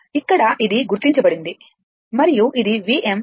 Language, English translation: Telugu, Here it is marked and it is a V m